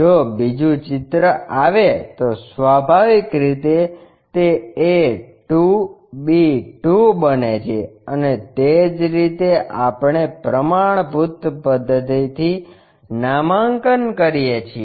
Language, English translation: Gujarati, If the second picture comes, naturally it becomes a 2, b 2 and so on that that is the standard convention we follow it